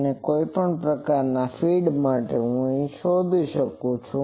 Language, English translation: Gujarati, If any other type of feed, I can find that